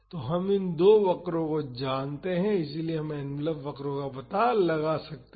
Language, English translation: Hindi, So, we know these two curves so, we can find out the envelop curves